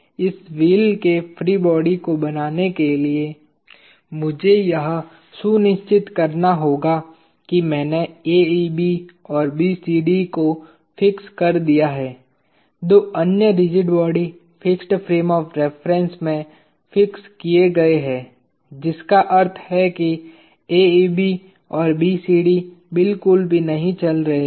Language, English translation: Hindi, In order to draw the free body of this wheel, I need to make sure that I fix AEB and BCD, the two other rigid bodies fixed to the fixed frame of reference which means AEB and BCD are not moving at all